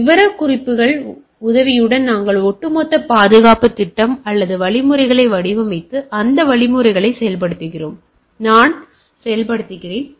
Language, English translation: Tamil, Specification are with the help of specification we design the overall security scheme or mechanisms, and implement those mechanism and then I operationalise right